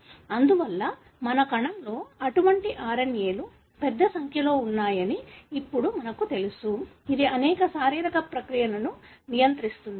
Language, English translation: Telugu, Therefore, now we know that a large number of such RNAs exist in our cell, which regulates many of the physiological process